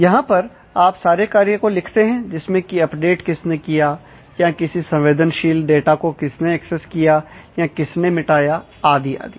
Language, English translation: Hindi, So, where you write down actions in terms of who carried out and update, or who access some sensitive data, or who did a delete and so on